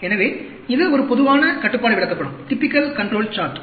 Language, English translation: Tamil, So, this a typical control chart